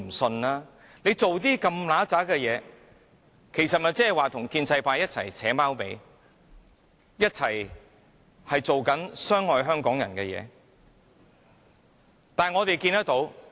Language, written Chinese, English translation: Cantonese, 政府做出如此骯髒的事情，其實即是跟建制派一起"扯貓尾"，一起做傷害香港人的事情。, When the Government is doing such dirty work it is actually colluding with the pro - establishment camp to do harm to the Hong Kong people